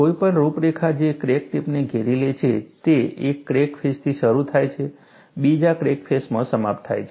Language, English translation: Gujarati, Any contour, that encloses the crack tip, starts from one crack face, ends in the other crack, crack face; that is the only requirement